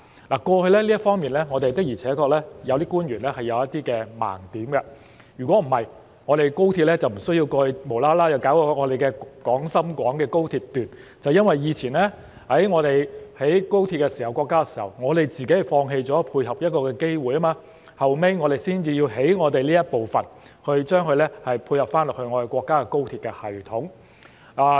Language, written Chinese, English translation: Cantonese, 我們有些官員過去在這方面確實有一些盲點，否則，我們便無需後來才興建廣深港高鐵香港段，正是因為過往國家興建高鐵時，我們自己放棄了配合這個機會，後來我們才要興建香港段，以配合國家的高鐵系統。, Some of the principal officials did have some blind spots in this regard in the past; otherwise we would not have started the construction of the Hong Kong section of the Guangzhou - Shenzhen - Hong Kong Express Rail Link XRL at a much later time . It was because we gave up the opportunity to support the country when it started the construction of XRL and not until later did we realize the need to tie in with the XRL system of the country and thus we subsequently started the construction of the Hong Kong section